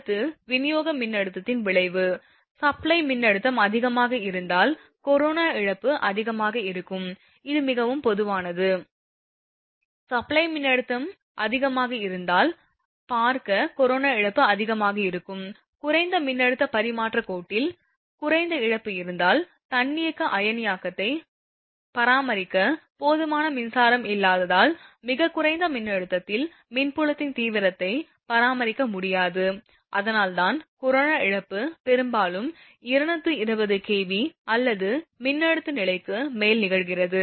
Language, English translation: Tamil, Next, effect of supply voltage; if the supply voltage is high, corona loss will be high this is very common, see if supply voltage is high corona loss will be high; if low in low voltage transmission line corona loss is negligible due to insufficient electric field to maintain self sustained ionisation because at low voltage that is electric field intensity cannot be maintained, that is why corona loss it happens mostly 220 kV or above voltage level